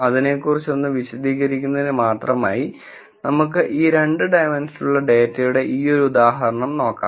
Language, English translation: Malayalam, Just for the sake of illustration, let us take this example, where we have this 2 dimensional data